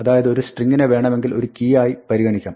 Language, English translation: Malayalam, So, a key for instance could be a string